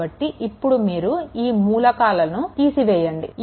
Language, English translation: Telugu, So, so, what you can do is exclude these elements